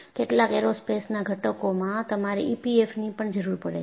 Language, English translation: Gujarati, In some aerospace components, you will also require E P F M